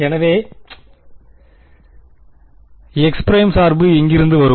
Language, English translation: Tamil, So, where will the x prime dependence come from